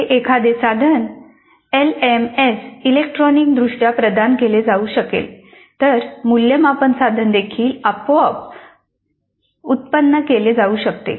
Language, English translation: Marathi, If this can be provided electronically to a tool to an LMS then assessment instrument can be generated automatically also